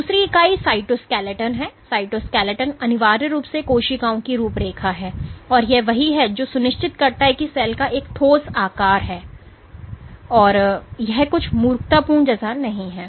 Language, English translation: Hindi, The second entity is the cytoskeleton the cytoskeleton is essentially the cells framework and this is what make sure that the cell has a concrete shape and it is not like some silly putty, ok